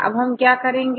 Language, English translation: Hindi, So, how to do this